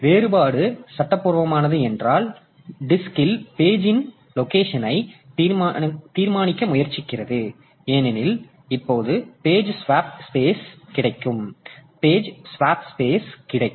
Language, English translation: Tamil, If the reference is legal, then it tries to determine the location of the page on the disk because now the page will be available in the swap space